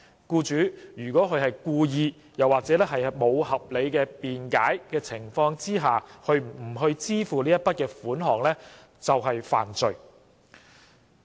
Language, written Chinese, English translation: Cantonese, 僱主如果故意及無合理辯解而不支付該額外款項，即屬犯罪。, An employer who fails to pay the further sum wilfully and without reasonable excuse will commit an offence